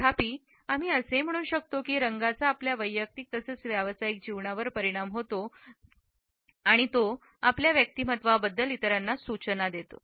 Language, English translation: Marathi, Nonetheless we can say that colors affect our personal as well as professional lives by imparting clues about our personality to others